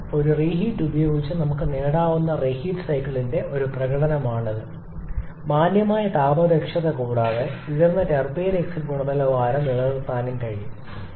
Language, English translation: Malayalam, So, that is a demonstration of the reheat cycle where with a single reheat we are able to get a decent thermal efficiency and also able to maintain a significantly high turbine exit quality